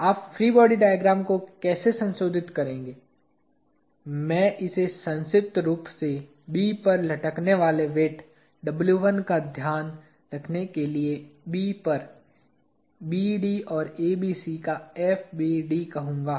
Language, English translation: Hindi, How will you modify the free body diagram, I am going to call it by acronym, FBD of BD and ABC at B to take care of weight W1 hanging at B